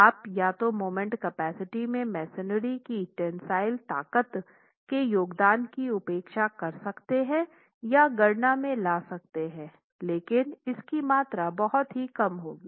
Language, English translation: Hindi, You can either neglect the contribution to the moment capacity by the tensile strength of the masonry or introduce that into the calculations but that's going to be a very small quantity